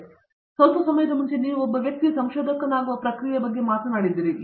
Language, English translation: Kannada, So, a little while earlier you spoke about the process, the process by which a person becomes a researcher and so on